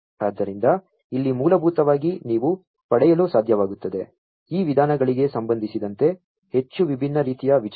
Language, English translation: Kannada, So, here basically you would be able to get a lot more different types of ideas in with respect to these methods